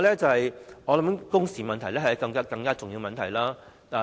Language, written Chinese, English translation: Cantonese, 此外，工時問題是更重要的。, In addition the issue of working hours is more important